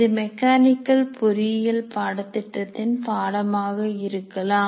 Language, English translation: Tamil, It may be a course in mechanical engineering